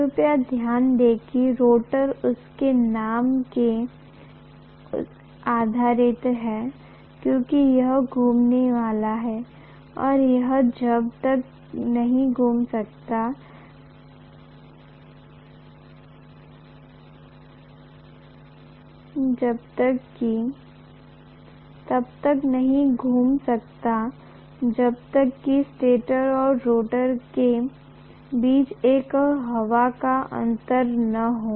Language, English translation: Hindi, Please note that the rotor gets its name because it is going to rotate and it cannot rotate unless there is an air gap between the stator and rotor